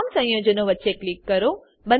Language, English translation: Gujarati, Click between all the compounds